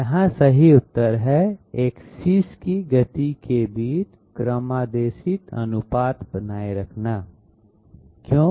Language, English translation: Hindi, Here the correct answer is, maintain programmed ratios between axes speeds, why